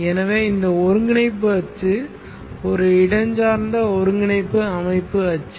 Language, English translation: Tamil, which will be so this coordinate axis which I have here, this coordinate axis is a spatial coordinate system